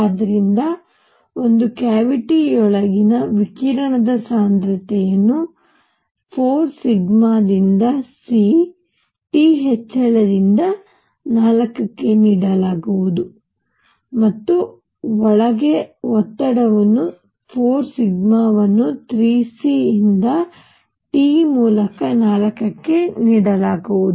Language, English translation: Kannada, And therefore, the radiation density inside a cavity is going to be given by 4 sigma by c T raise to 4 and pressure inside is going to be given as 4 sigma by 3 c T raise to 4